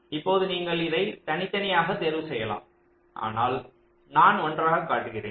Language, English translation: Tamil, now you can choose this to into separate steps, but i am showing in one step